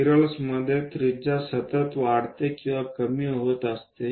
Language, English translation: Marathi, In spirals, the radius is continuously increasing or decreasing